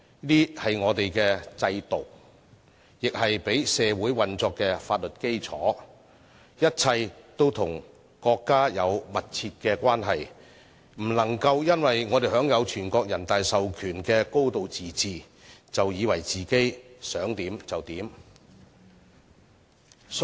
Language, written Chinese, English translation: Cantonese, 這些是我們的制度，亦是讓社會運作的法律基礎，一切都與國家有密切關係，不能夠因為我們享有全國人大授權的"高度自治"，便以為自己可以為所欲為。, These are our systems and the legal basis for society to operate . We have a close relationship with the State in all aspects . We must not think that we can do as we like because we enjoy a high degree of autonomy conferred on us by NPC